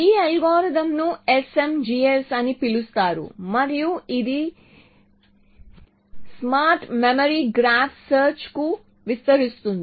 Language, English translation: Telugu, So, their algorithm is called SMGS and it expands to smart memory graph search